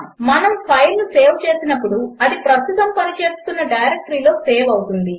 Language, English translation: Telugu, Whenever we save a file,it gets saved in the current working directory